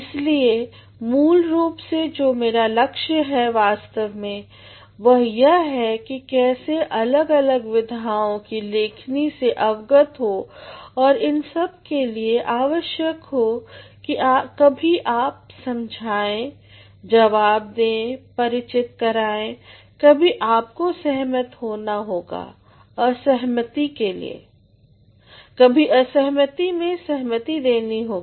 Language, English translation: Hindi, So, basically what I am actually aiming at is how to get exposed at different forms of writing and all these actually require sometimes you have to convince, respond, familiarize, sometimes you have to agree to disagree and disagree to agree